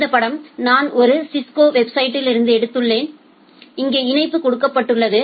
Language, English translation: Tamil, This figure I have taken from a Cisco website and the link is given here